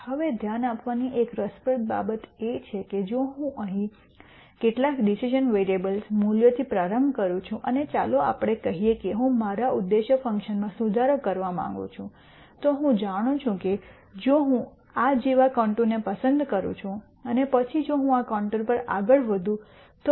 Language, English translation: Gujarati, Now, an interesting thing to notice is if I start with some decision variable values here and let us say I want to improve my objective function, I know that if I pick a contour like this and then from here if I keep moving on this contour I am not going to make any improvement to my objective function value